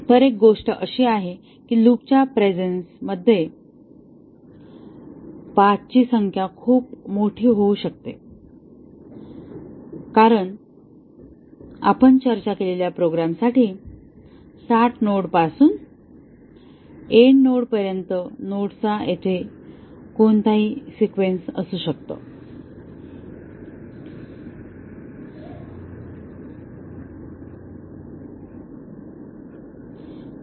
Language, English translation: Marathi, So, one thing is that in presence of loops the number of paths can become very large because it is any sequence of nodes from start node to the end node for the program that we had discussed